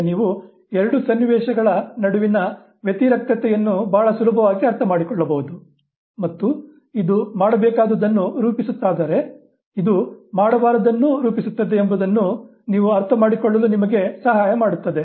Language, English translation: Kannada, Now you very easily understand the contrast between the two situations and this helps you understand that if this constitutes the dues then you can understand what the don'ts constitute of